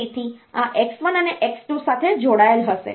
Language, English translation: Gujarati, So, this will be connected to this x 1 and x 2